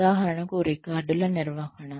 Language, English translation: Telugu, For example, maintenance of records